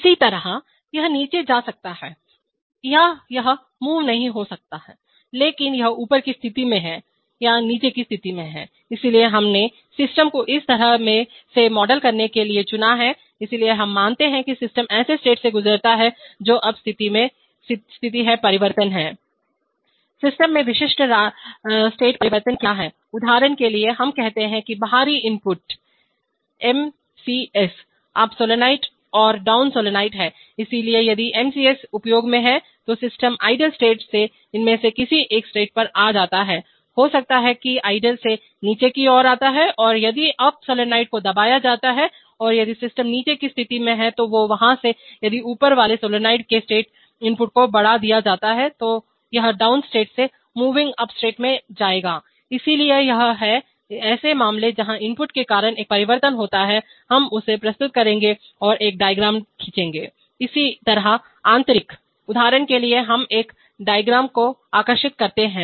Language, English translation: Hindi, Similarly it could be moving down or it could be not moving but is in the up position or in the down position, so we have chosen to model the system in such a manner, so we assume that the system goes through such states, now state change is, What are the, what are the typical state changes in the system, for example we say that the external inputs are MCS, up solenoid, and down solenoid, so if MCS is exercise, system comes from idle to any one of these, maybe it comes from idle to down and if the up solenoid is pressed and if the system is that is in the down state, from there if the up solenoid state input is exerted then it will go from the down state to the moving upstate, so these are cases where a state change is caused by input, we will present it and draw a diagram, similarly internal, for example let us draw this diagram